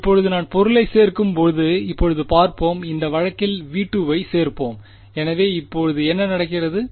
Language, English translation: Tamil, Now when I add the object now let us add the object in this case it is V 2 so, what happens now